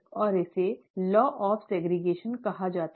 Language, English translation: Hindi, And this is called the law of segregation